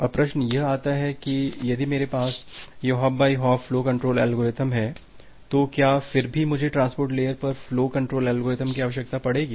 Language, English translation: Hindi, Now the question comes if I have this hop by hop flow control algorithm, do I still need to have a flow control algorithm at the transport layer